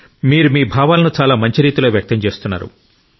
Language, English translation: Telugu, You are expressing your sentiment very well